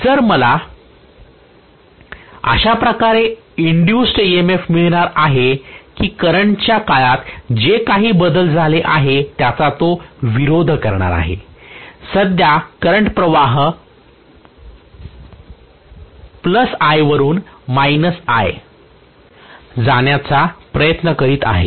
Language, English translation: Marathi, So I am going to get an induced EMF in such a way that whatever is the change in the current it is going to oppose that , right now the current is trying to go from plus I to minus I